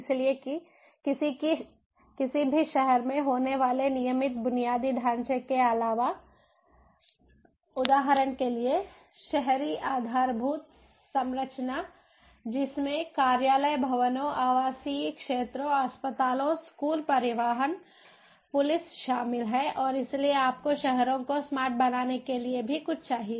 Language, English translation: Hindi, so, in addition to the regular infrastructure that is there in any city, for example, the urban infrastructure consisting of office buildings, residential areas, hospitals, schools, transportation, police and so on, you also need something in addition to make the cities smart